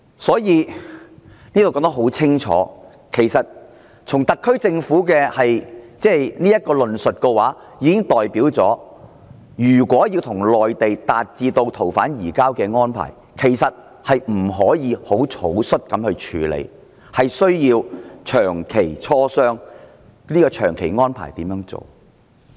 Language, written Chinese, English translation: Cantonese, "這裏說得很清楚，特區政府的論述已經表明，如果要與內地達成逃犯移交的安排，不可以草率處理，需要長期磋商、安排怎樣做。, It is apparent from the elaboration of the SAR Government in the reply that to reach a long - term surrender arrangement with the Mainland it requires long - term negotiation on the arrangement and the matter should not be handled carelessly